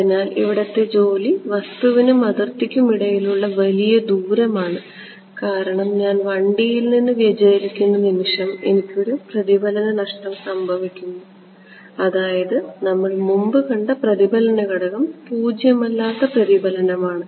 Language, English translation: Malayalam, So, the work around is larger distance between the object and boundary right as it is if I the moment I deviate from 1D anyway I am going to have a reflect loss I mean the reflection coefficient non zero reflection that we have seen before right